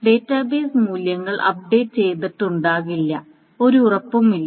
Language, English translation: Malayalam, So the database values may not have been updated and there is no guarantee that it has been updated